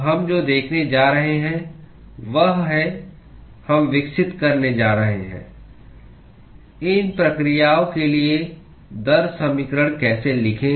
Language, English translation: Hindi, So, what we are going to see is we are going to develop, how to write the rate equations for these processes